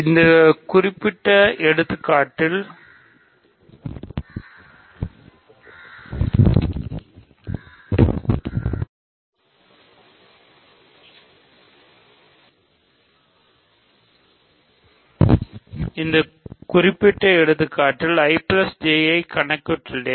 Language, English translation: Tamil, So, in this specific example we computed I plus J